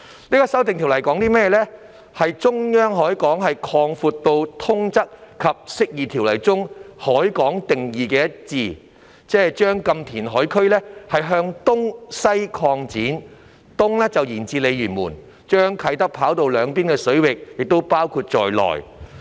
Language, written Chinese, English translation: Cantonese, 就是將"中央海港"擴闊至與《釋義及通則條例》中"海港"的定義一致，即將"禁填海"區向東西擴展，東面延至鯉魚門，將啟德跑道兩邊的水域包括在內。, It sought to extend the central harbour and align it with the definition of harbour under the Interpretation and General Clauses Ordinance that is to extend the no - reclamation area eastwards and westwards which means extending it to Lei Yue Mun in the east so as to include the waters on both sides of the Kai Tak runway